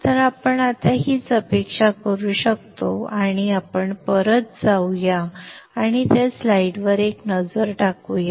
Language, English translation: Marathi, So this is what we can expect and let us go back and have a look at that